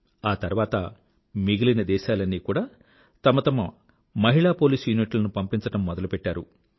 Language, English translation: Telugu, Later, all countries started sending their women police units